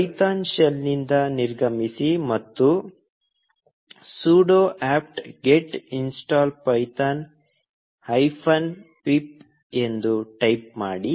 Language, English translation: Kannada, Exit the python shell, and type ‘sudo apt get install python hyphen pip’